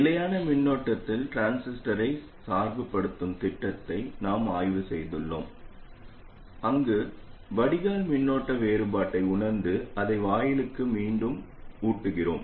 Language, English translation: Tamil, We have studied the scheme of biasing the transistor at a constant current where we sense the current difference at the drain and feed it back to the gate